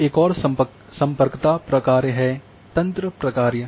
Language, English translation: Hindi, Now the another connectivity function is the network function